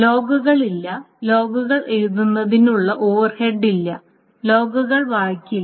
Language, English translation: Malayalam, So, logs are not read it, so there is no overhead of writing the logs